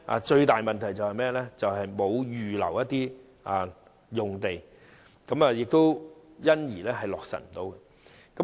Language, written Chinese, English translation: Cantonese, 最大的問題是沒有預留用地，因而無法落實建議。, The biggest problem is that no sites are reserved for implementing the proposals